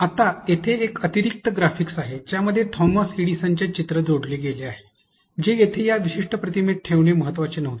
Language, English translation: Marathi, Now, there is an extra graphic that has been added this picture of Thomas Edison, which was not important to be put in this particular image here